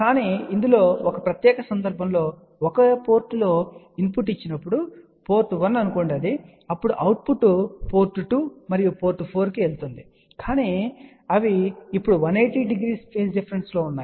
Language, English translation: Telugu, But in this particular case we can design in such a way that when you give a input at 1 port, let us say port 1 ok then the output goes to let us say port 2 and port 4, but they are now at a phase difference of 180 degree